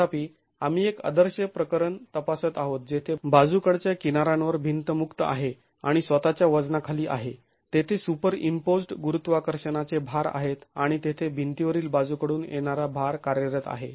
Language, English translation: Marathi, However, we are examining an idealized case where the wall is free on the lateral edges and is subjected to itself weight and there is superimposed gravity for gravity loads and there is lateral load acting on the wall